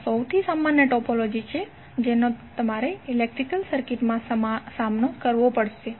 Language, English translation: Gujarati, So these are the most common topologies you will encounter in the electrical circuits